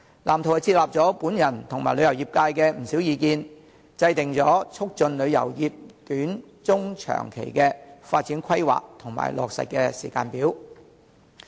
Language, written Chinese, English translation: Cantonese, 藍圖接納了我及旅遊業界的不少意見，制訂了促進旅遊業短、中、長期的發展規劃和落實時間表。, The blueprint has accepted many views given by me and the tourism sector and formulated the short medium and long - term development proposals and implementation timetables for promoting the tourism industry